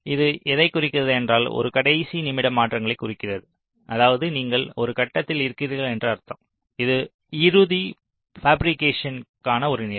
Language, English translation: Tamil, so what it refers is that this refers to a last minute changes that mean you are in a step which is just one step before the final fabrication